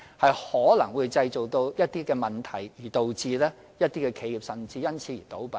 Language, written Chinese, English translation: Cantonese, 這可能會造成問題，甚至導致一些企業因而倒閉。, This may give rise to problems and even cause some enterprises to wind up